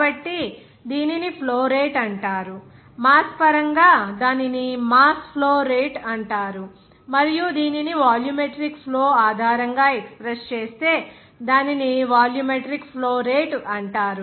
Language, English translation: Telugu, So, it will be called as flow rate of in terms of mass, then it will be called as mass flow rate and if it supposes the expression based on that volumetric flow, then it will be regarded as a volumetric flow rate